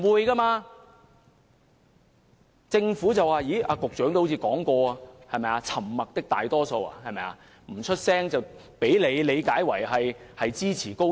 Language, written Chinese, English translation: Cantonese, 局長似乎曾提及"沉默的大多數"，市民不發聲，便被局長理解為支持高鐵。, The Secretary seems to have mentioned the silent majority assuming that people who remain silent are in support of XRL